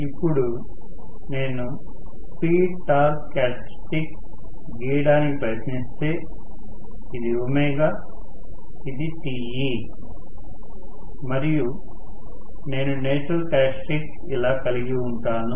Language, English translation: Telugu, So, if I try to plot, the speed torque characteristics, this is omega, this is Te, so I am going to have may be the natural characteristic somewhat like this